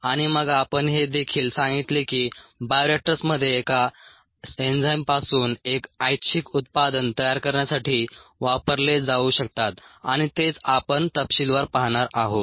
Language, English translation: Marathi, and then we also said there is an enzyme can be used in a bioreactor to form a product of interest, and that is what we are looking at in detail